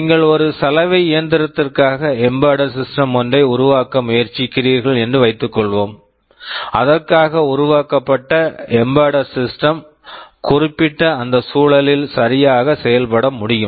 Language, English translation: Tamil, Suppose, you are trying to build an embedded system for a washing machine, so your embedded system should be able to function properly in that environment